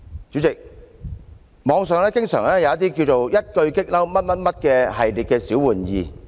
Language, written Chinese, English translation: Cantonese, 主席，網上有一系列名為"一句'激嬲'"的小玩意。, President there are some trivia games online which invite players to propose top annoying phrases